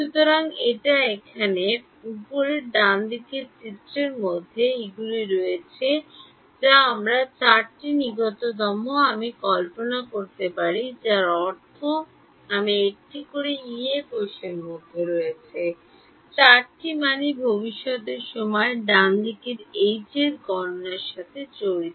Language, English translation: Bengali, So, these in this right top view diagram over here these are sort of we can imagine four nearest I mean in one Yee cell all the four values are involved in calculating H at a future time instance right